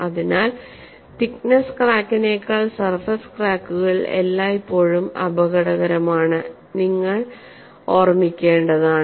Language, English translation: Malayalam, So, surface cracks are always more dangerous than through the thickness crack, that you have to keep in mind